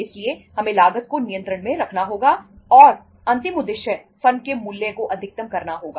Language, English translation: Hindi, So we have to keep the cost under control and last objective is maximization of the firm’s value